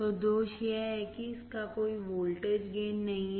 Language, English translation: Hindi, So, the drawback is that that it has no voltage gain